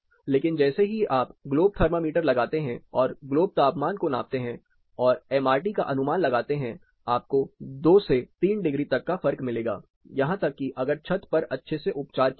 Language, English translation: Hindi, You may be able to find, but moment you put a globe thermometer you start measuring globe temperature and calculate MRT with it you are going to find a considerable amount of difference 2 to 3 degrees easily you can find even with a properly treated roof